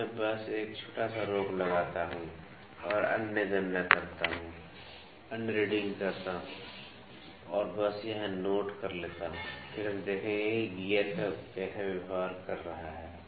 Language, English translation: Hindi, Now, I will just take a small break and make other calculations, do other readings and just note down here, then we will see that how is the gear behaving